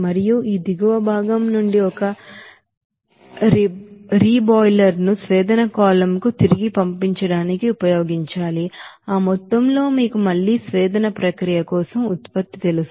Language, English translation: Telugu, And from this bottom part one reboiler to be used to send back to the distillation column certain amount of that you know product for again distillation process